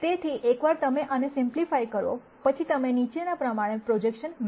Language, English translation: Gujarati, So, once you simplify this further you get the projection as the following